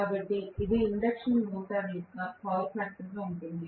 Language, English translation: Telugu, So, this is going to be the power factor of the induction motor